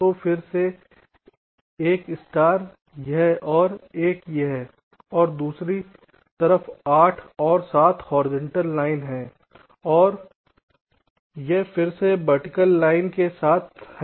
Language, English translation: Hindi, so again a star, this and this, and the other side, eight and seven, where horizontal line, and this again with the vertical line